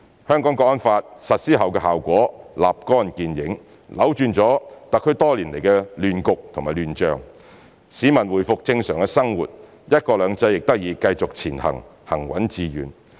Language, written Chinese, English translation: Cantonese, 《香港國安法》實施後的效果立竿見影，扭轉了特區多年來的亂局和亂象，市民回復正常生活，"一國兩制"亦得以繼續前行，行穩致遠。, The implementation of the National Security Law has achieved immediate results by turning around years of chaos and confusion in the SAR and allowing the public to return to normal life